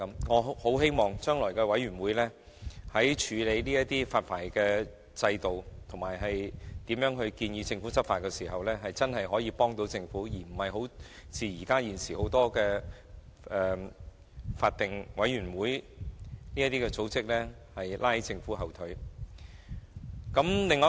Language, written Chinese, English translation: Cantonese, 我很希望這些委員會日後在處理發牌工作及建議政府如何執法時，真的可以幫助政府，而不是像現時多個法定委員會般拉着政府的後腿。, I eagerly hope that these two boards can really be a help to the Government in respect of processing license applications and advising on how law enforcement actions should be taken and that they will not as in the case of many statutory bodies at present be a drag on the Government